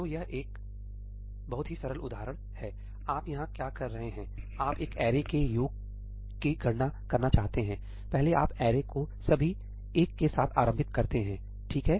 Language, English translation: Hindi, So, it is a very very simple example; what you do here is you want to compute the sum of an array; first you initialize the array with all 1’s, okay